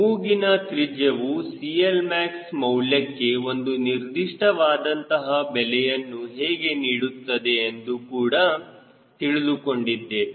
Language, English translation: Kannada, we have also see the how nose radius plays an role to whatever significant level for cl max